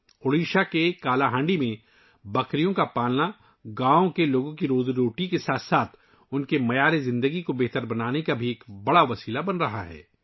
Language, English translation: Urdu, In Kalahandi, Odisha, goat rearing is becoming a major means of improving the livelihood of the village people as well as their standard of living